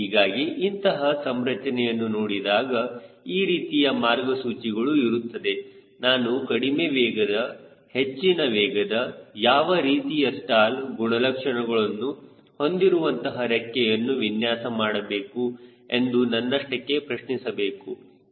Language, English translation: Kannada, so when you see a configuration these are the guidelines you ask yourself: am i designing a low speed, high speed, what sort of stall characteristic of the wing